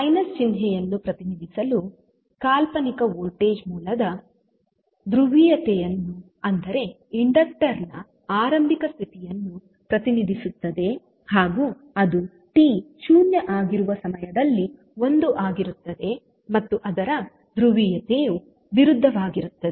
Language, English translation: Kannada, The, to represent the minus sign the polarity of fictitious voltage source that is that will represent the initial condition for inductor will become l at time t is equal to 0 and the polarity will be opposite